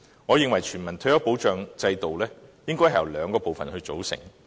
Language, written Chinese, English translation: Cantonese, 我認為全民退休保障制度應由兩個部分組成。, In my opinion a universal retirement protection system should consist of two parts